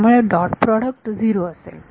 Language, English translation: Marathi, So, the dot product will give me 0